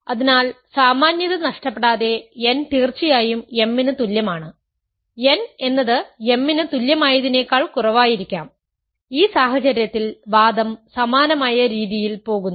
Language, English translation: Malayalam, So, assume without loss of generality, n is less than equal to m of course, m could be less than equal to m, in which case the argument goes in a similar way